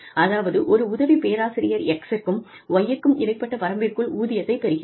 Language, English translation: Tamil, That, an assistant professor will get, anywhere between X to Y